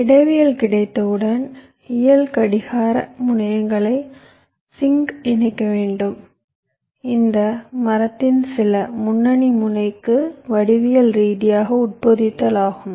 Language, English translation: Tamil, ah, once i have the topology, i have to actually connect my physical clock terminals, the sinks, to some lead node of this tree, that is the geometrically embedding